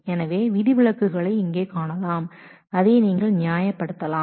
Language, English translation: Tamil, So, you can see the exceptions here you can reason that out